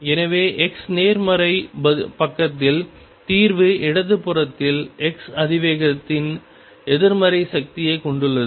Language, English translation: Tamil, So, on the x positive side, the solution has negative power of the x exponential on the left hand side